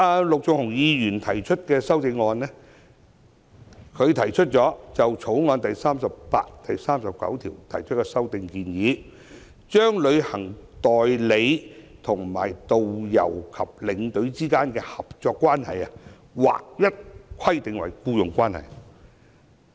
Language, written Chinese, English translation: Cantonese, 陸頌雄議員提出修正案，建議修正《條例草案》第38條及第39條，把旅行代理商與導遊和領隊之間的合作關係，劃一規定為僱傭關係。, The Bills Committee has divergent views on whether the employer - employee cooperation relationship between travel agents and tourist guides and tour escorts should be regulated through the Bill